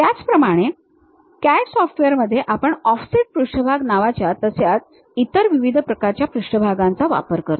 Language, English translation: Marathi, Similarly, at CAD CAD software, we use other variety of surfaces, named offset surfaces